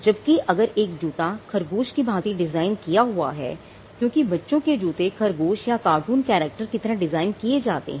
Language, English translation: Hindi, Whereas, if a shoe is designed to look like a bunny or a rabbit you know many children shoes are designed like a rabbit or like a character in a cartoon